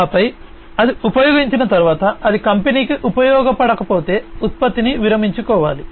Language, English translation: Telugu, And then once it is used, once it is no longer useful to the company, the product has to be retired